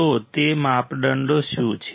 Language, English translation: Gujarati, So, what are those criterias